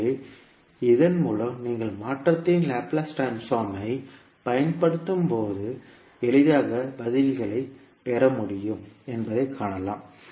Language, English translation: Tamil, So with this you can simply see that when you apply the Laplace transform of the convolution you can easily get the answers